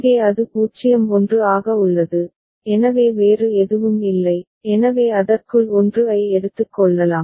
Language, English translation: Tamil, Here it is 0 1 so there is no other thing so, we can take the 1 inside it